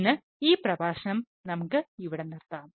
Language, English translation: Malayalam, for now, for this lecture, we will stop here, thank you